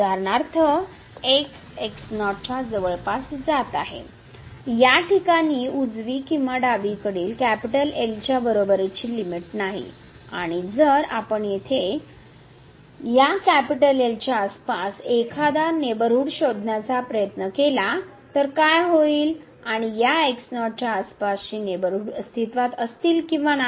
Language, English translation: Marathi, For example, in this case as approaches to naught, the limit whether right or the left is not equal to and what will happen if we try to get a neighborhood around this here and whether the corresponding neighborhood around this naught will exist or not